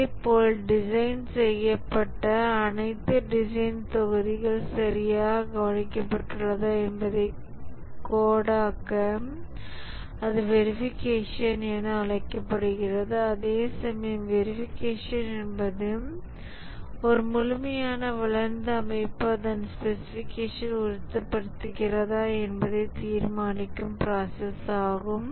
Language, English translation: Tamil, Similarly, for coding, whether all the design modules that were designed have been taken care properly and that is called as the verification whereas validation is the process of determining whether a fully developed system confirms to its specification